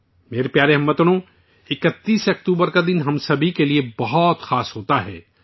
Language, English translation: Urdu, My dear countrymen, 31st October is a very special day for all of us